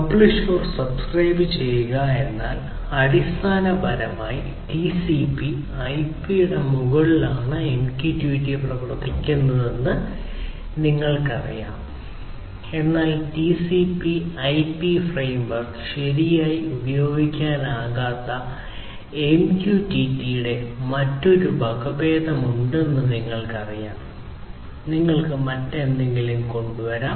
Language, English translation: Malayalam, So, Publish/Subscribe, but this you know the way MQTT works is basically to work on top of TCP/IP, but you know you could have a different variant of MQTT, where TCP/IP framework may not be used right; you could come up with something else